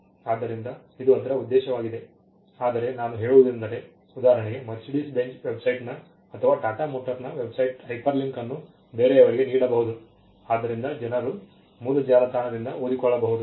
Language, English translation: Kannada, So, it is objective of, but if I need to refer to something say Mercedes Benz’s website or Tata motor’s website so, something I can just hyperlink and people can read from that page